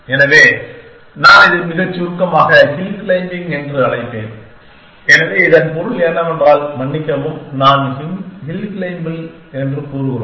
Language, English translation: Tamil, So, I will just write it very briefly call hill claiming, so the meaning of this is, so I call on sorry we just say hill claiming